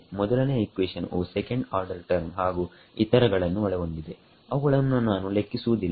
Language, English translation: Kannada, The first equation had second order terms and so on which I am ignoring